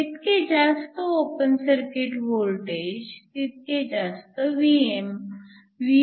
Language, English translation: Marathi, So, higher your open circuit voltage, higher the value of Vm